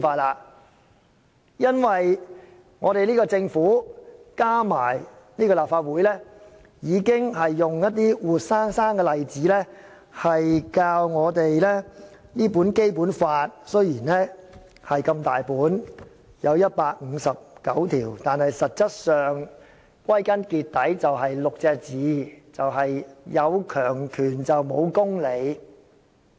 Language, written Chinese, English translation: Cantonese, 原因是，政府和立法會已經用活生生的例子教導我們，雖然《基本法》十分厚，載有159項條文，但其實可用6個字概括，就是"有強權無公理"。, The reason is that the Government and the Legislative Council have already taught us with living examples that even though the Basic Law booklet is very think with 159 provisions these six words actually say it all Those with power can defy justice